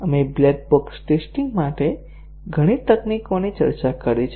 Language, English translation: Gujarati, We have discussed several techniques for black box testing